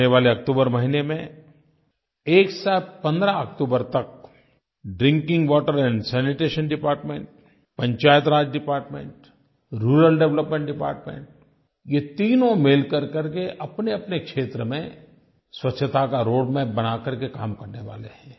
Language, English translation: Hindi, In the coming October month, from 1st October to 15th October, Drinking Water and Sanitation Department, Panchayati Raj Department and Rural Development Department these three are going to work under a designated roadmap in their respective areas